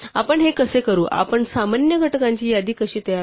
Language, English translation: Marathi, So, how do we do this, how do we construct a list of common factors